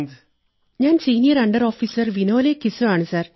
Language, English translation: Malayalam, This is senior under Officer Vinole Kiso